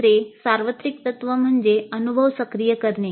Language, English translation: Marathi, The second universal principle is activating the experience